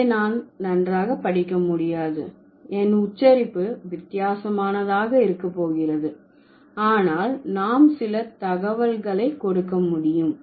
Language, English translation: Tamil, I can't read it well, but I can, like, my pronunciation is going to be weird, but then we can give you some data